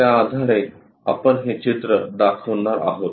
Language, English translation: Marathi, Based on that we are going to show this picture